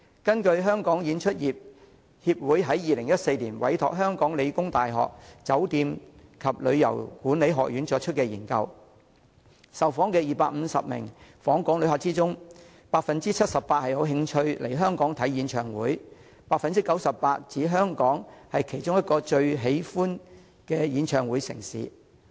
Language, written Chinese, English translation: Cantonese, 根據香港演出業協會在2014年委託香港理工大學酒店及旅遊業管理學院進行的研究，在受訪的250名訪港旅客中 ，78% 有興趣來港觀賞演唱會 ，89% 指香港是其中一個最喜歡的演唱會城市。, In 2014 Performing Industry Association Hong Kong Limited commissioned the School of Hotel and Tourism Management of The Hong Kong Polytechnic University to conduct a study . According to the study of all the 250 inbound visitors surveyed 78 % expressed interest in coming to Hong Kong for concerts and 89 % described Hong Kong as one of their favourite host cities of concerts